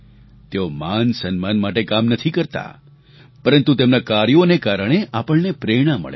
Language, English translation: Gujarati, They do not labour for any honor, but their work inspires us